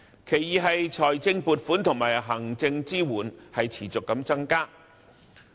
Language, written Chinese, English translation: Cantonese, 其二是財政撥款和行政支援持續增加。, Second financial provisions and administrative support for DCs have seen continuous enhancement